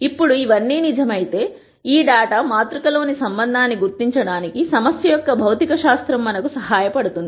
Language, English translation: Telugu, Now, if all of this is true then the physics of the problem has helped us identify the relationship in this data matrix